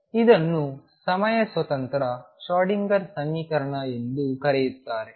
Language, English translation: Kannada, Or what is also known as time independent Schrödinger equation